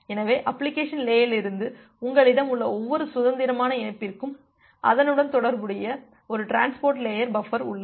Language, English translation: Tamil, So, for every independent connection that you have from the application layer, we have one transport layer buffer associated with it